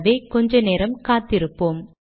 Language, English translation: Tamil, So lets wait for some time